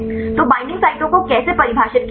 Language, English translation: Hindi, So, how to define the binding sites